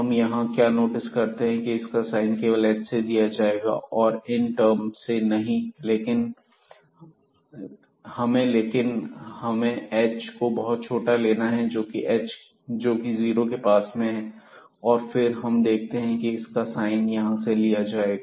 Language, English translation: Hindi, So, what we will notice here the sign will be determined by this h only not by these terms here, but we have to go to a sufficiently small h close to 0 to see that this will be determined by the sign of this one